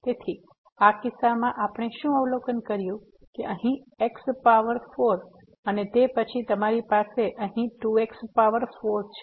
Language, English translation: Gujarati, So, in this case what we observed because here power 4 and then, you have 2 power 4 here